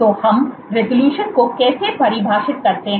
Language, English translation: Hindi, So, how do we define resolution